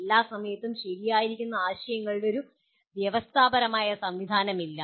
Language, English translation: Malayalam, There is no established system of ideas which will be true for all times